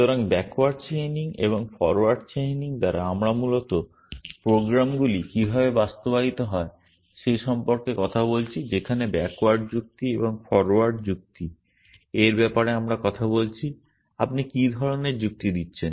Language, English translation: Bengali, So, by backward chaining and forward chaining we essentially are talking about how the programs are implemented whereas with backward reasoning and forward reasoning we are talking about what is the kind of reasoning you are doing